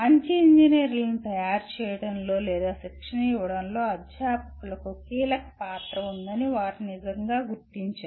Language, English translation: Telugu, They really recognize that the crucial role of faculty in making or leading to training good engineers